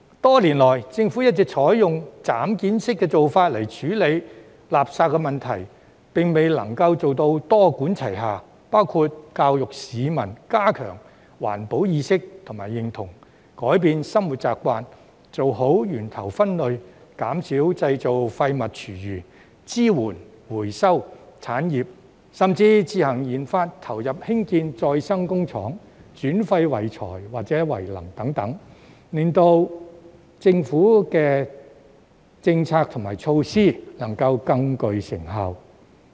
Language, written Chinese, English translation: Cantonese, 多年來，政府一直採用"斬件式"的做法來處理垃圾問題，並未能夠做到多管齊下，包括教育市民加強環保意識及認同，改變生活習慣，做好源頭分類，減少製造廢物、廚餘；支援回收產業，甚至自行研發投入興建再生工廠，轉廢為材或為能等，令政府的政策和措施更具成效。, Over the years the Government has been adopting a piecemeal approach to deal with the waste problem but it has failed to taken multi - pronged measures including educating the public on enhancing their awareness and recognition of environmental protection changing their habits practising good source separation and reducing the generation of waste and food waste; supporting the recycling industry or even conducting in - house research and development and investing in the construction of recycling plants transforming waste into resources or energy and so on so as to make the Governments policies and measures more effective